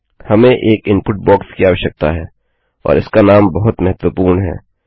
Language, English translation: Hindi, Were going to need an input box and its name is very important